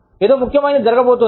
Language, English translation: Telugu, Something important, is about to happen